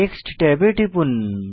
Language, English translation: Bengali, Next click on Text tab